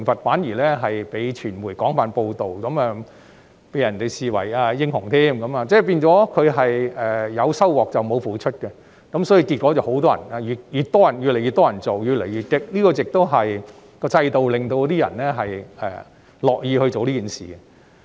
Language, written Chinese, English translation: Cantonese, 反而有關行為被傳媒廣泛報道後，那些議員被人視為英雄，變相有收穫而沒有付出，結果越來越多人這樣做，行為越來越激烈，因為制度令人樂於做此事。, On the contrary after extensive media coverage on their behaviour in the Council they were treated as heroes . Seeing that they take more than they give more and more Members followed suit and their behaviour got more and more violent . It was the system that made them do so